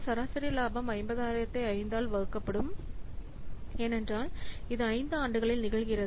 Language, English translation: Tamil, Average profit will coming to be 50,000 divided by 5 because it is occurring in 5 years